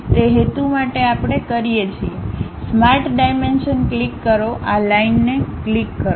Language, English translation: Gujarati, For that purpose what we do is, click Smart Dimension, click this line